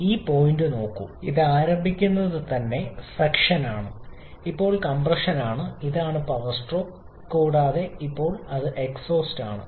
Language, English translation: Malayalam, Just look at this point it start this is suction, now is compression, this is the power stroke and now it is the exhaust